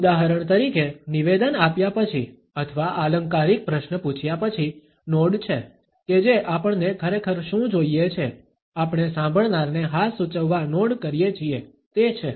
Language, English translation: Gujarati, For example after making a statement or asking a rhetorical question is not that what we really want, we not to suggest the listener yes, it is